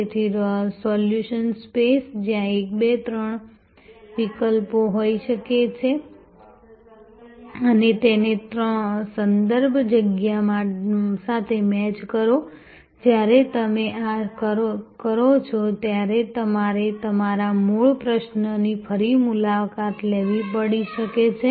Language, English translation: Gujarati, So, solution space, where there can be 1, 2, 3 alternatives and match that with the context space, when you do this, you may have to revisit your original question